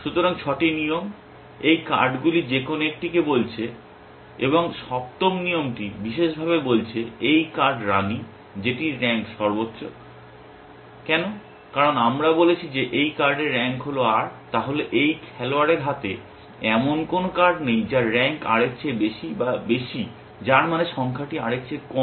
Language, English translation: Bengali, So, 6 rules are saying any of these cards and the seventh rule is specifically saying this card queen, which is of highest rank why because we have said that the rank of this card is r then there is no card held by this player whose rank is higher or higher than r which means the the number is lower than r